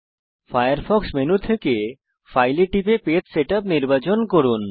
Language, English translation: Bengali, From the Firefox menu bar, click File and select Page Setup